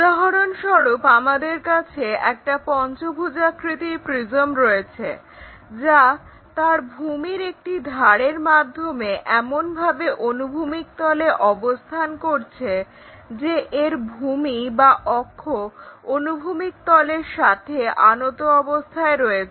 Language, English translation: Bengali, For example, here we have a pentagonal prism which is place with an edge of the base on horizontal plane, such that base or axis is inclined to horizontal plane